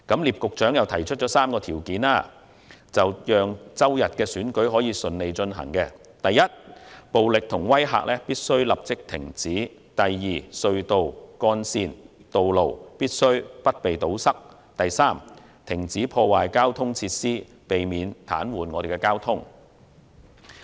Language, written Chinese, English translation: Cantonese, 聶局長又提出了3項條件，讓周日的選舉順利舉行。第一，暴力和威嚇必須立即停止；第二，隧道、幹線和道路必須不被堵塞；第三，停止破壞交通設施，避免癱瘓交通。, Secretary NIP also set out three conditions for holding the election smoothly on Sunday Firstly violence and all kinds of duress should stop; secondly blocking of tunnels highways and roads should cease; thirdly destruction to transport facilities should halt altogether to prevent paralysing the traffic